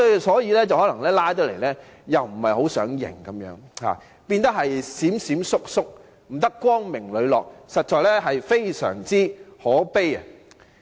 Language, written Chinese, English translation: Cantonese, 所以，今次他們不想承認"拉布"，變得"閃閃縮縮"，極不光明磊落，實在非常可悲。, This is why they do not admit filibustering and have become surreptitious rather than acting in an open and above - board manner